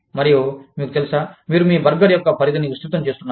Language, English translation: Telugu, And, of course, you know, you just widening the scope, of your burger